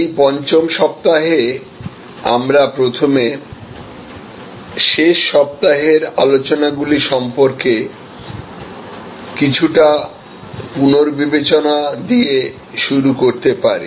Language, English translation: Bengali, So, in this week five we can first start with a bit of a recap about our last week’s discussions